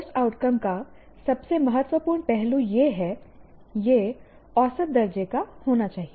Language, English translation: Hindi, The most important aspect of a course outcome is it should be measurable